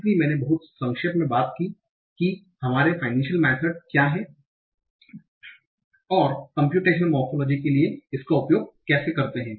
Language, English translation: Hindi, So I have very very briefly talked about what are finite methods and how do we use that for computation morphology